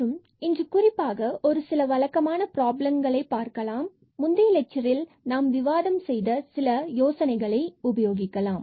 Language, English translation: Tamil, And in particular today we will see some typical problems where, we will apply the idea which was discussed already in previous lectures